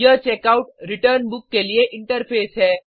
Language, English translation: Hindi, This is the interface to Checkout/Return Book